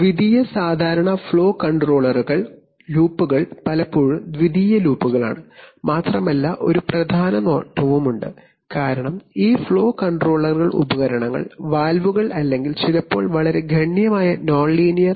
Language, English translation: Malayalam, The secondary, typically flow control loops are often secondary loops, and there is also a significant advantage because this flow control devices called valves or sometimes very significantly nonlinear